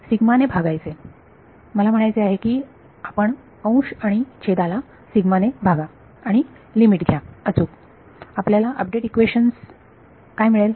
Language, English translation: Marathi, Divide by sigma I mean you will divide the numerator and denominator by sigma and take the limit correct, what will you get update equation